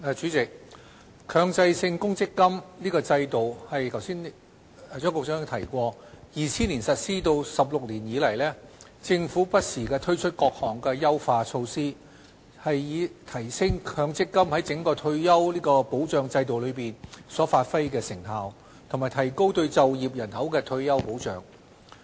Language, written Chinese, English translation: Cantonese, 主席，強制性公積金制度自2000年實施16年以來，政府不時推出多項優化措施，以提升強積金在整個退休保障制度所發揮的成效，以及提高對就業人口的退休保障。, President over the last 16 years since the implementation of the Mandatory Provident Fund MPF System in 2000 the Government has introduced various enhancement measures from time to time to improve the effectiveness of MPF in the overall retirement protection system and strengthen the retirement protection for the working population